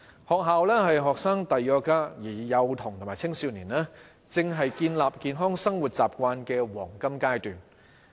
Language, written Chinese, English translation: Cantonese, 學校是學生的第二個家，而幼童及青少年，正是建立健康生活習慣的黃金階段。, Schools are our second home . Children and adolescents are at the best stage of life to build up healthy habits